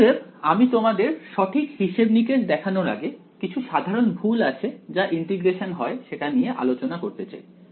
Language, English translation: Bengali, So, before I show you the exact calculation there is some very basic mistakes that can happen in integration